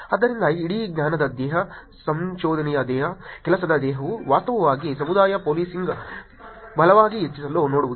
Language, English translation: Kannada, So, the whole body of knowledge, body of research, body of work is to actually look at increase the community policing right